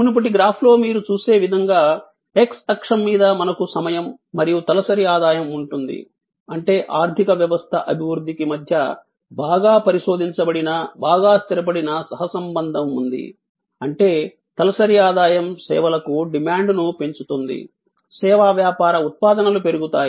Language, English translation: Telugu, As you will see in the previous graph, that on the x axis we have time as well as per capita income; that means, there is a tight well researched well established co relation between the development of the economy; that means, that is more per capita income will enhance the demand for services, service business outputs will increase